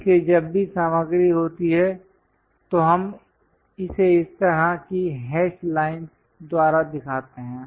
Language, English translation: Hindi, So, whenever material is there, we show it by this kind of hash lines